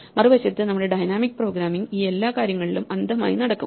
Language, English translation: Malayalam, On the other hand our dynamic programming will blindly walk through everything